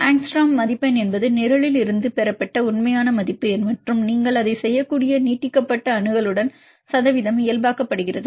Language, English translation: Tamil, Angstrom score is the real value obtained from the program and percentage is normalized with the extended accessibility you can do that